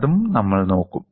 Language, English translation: Malayalam, We will look at that also